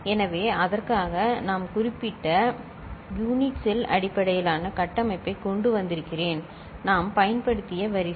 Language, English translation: Tamil, So, for which I have brought that particular unit cell based architecture, the array we had used ok